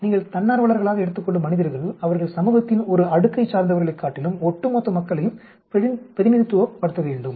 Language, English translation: Tamil, The subjects you are taking as volunteers, they should be representing the entire population rather than one strata of society